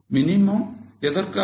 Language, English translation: Tamil, Minimum for what